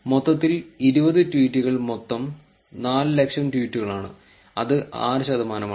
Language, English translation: Malayalam, In total, the 20 tweets constituted of 400,000 total tweets which is 6 percent